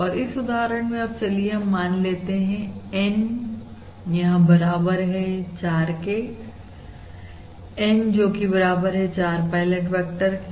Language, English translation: Hindi, And now let us consider, in this example, let us consider N equal to 4, let us consider N equal to 4 pilot vectors